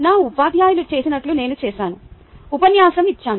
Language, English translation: Telugu, i did what my teachers had done: i lectured